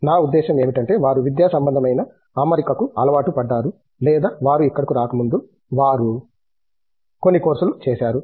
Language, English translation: Telugu, I mean they are used to an academic setting or may be, they have done some courses before they came here